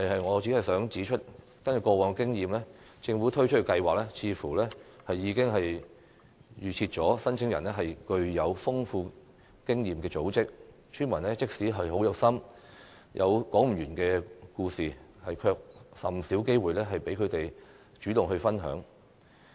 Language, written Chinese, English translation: Cantonese, 我只想指出，根據過往經驗，政府推出計劃時似乎已經預設申請人是具有豐富經驗的組織，村民即使很有心，有說不完的故事，也甚少獲得機會讓他們主動分享。, I only want to point out that based on past experience the Government seems to presume that the applicants are experienced organizations and villagers are seldom given any opportunity to share proactively despite their enthusiasm and endless stories